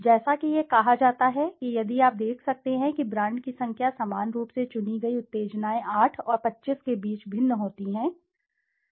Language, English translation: Hindi, As it says if you can see the number of brands are stimuli selected normally varies between 8 and 25